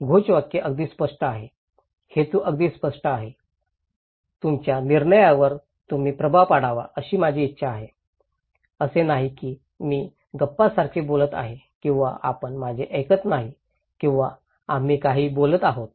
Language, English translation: Marathi, This slogan is pretty clear, the intention is very clear, I want you to influence your decision, it’s not that I am talking like a gossip or you are not listening to me or we are talking anything